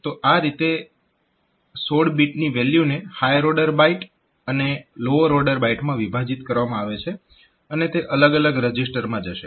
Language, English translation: Gujarati, So, that way, this 16 bit value will be divided into higher order byte and lower order byte and they will be going to different registers